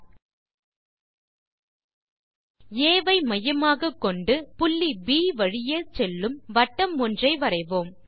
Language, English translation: Tamil, Lets construct a circle with center A and which passes through point B